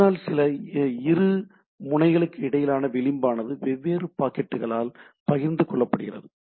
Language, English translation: Tamil, So, the single node to node edge can be shared by different packets